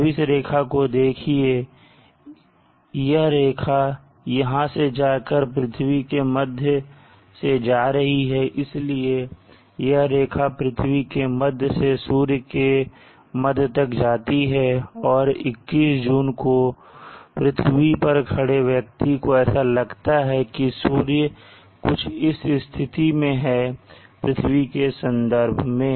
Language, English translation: Hindi, Now absorb this line the line here going along and join to the center of the earth so the line join the center of the earth to the center of the sun, now that is this line and on 21st June it appears to a person on the earth it appears the sun is relatively in this position like this with respect to the earth